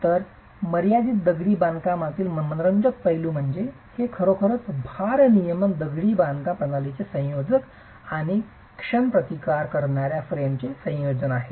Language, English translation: Marathi, So, the interesting aspect of confined masonry is that it is really a combination of a load bearing masonry system and a moment resisting frame